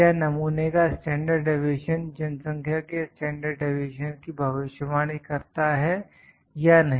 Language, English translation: Hindi, Does the sample standard deviation predict the population standard deviation or not